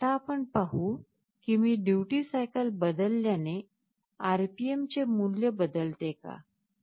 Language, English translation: Marathi, Now let us see if I change the duty cycle does the RPM value changes, let me see this